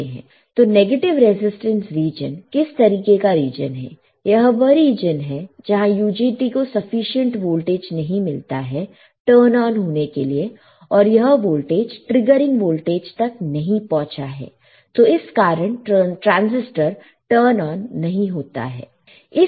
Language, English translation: Hindi, Negative resistance region; so, what is kind of region that this is the region where the UJT does not yet receive enough voltage to turn on and this voltage hasn't reached the triggering voltage so that the transistor will not turn on